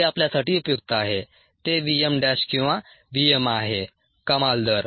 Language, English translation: Marathi, that is how relevance to us it's the v m dash or the v m, the maximum rate